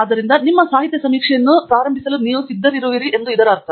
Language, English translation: Kannada, So, which means that you are ready to start your literature survey